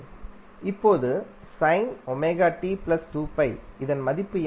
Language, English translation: Tamil, What are these values